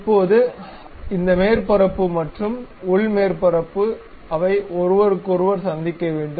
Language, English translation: Tamil, Now, this surface and internal surface, they are supposed to meet each other